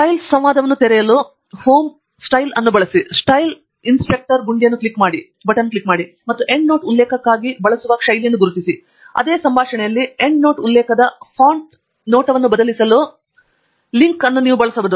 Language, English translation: Kannada, Use Home, Styles to open the Styles dialogue; click on the Style Inspector button and identify the style used for the endnote reference, and then, in the same dialogue you can use the Modify Link to change the font appearance of the Endnote Reference